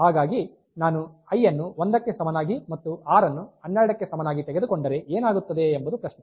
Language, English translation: Kannada, So, if I take i equal to 1 and r equal to 12 then what will happen is that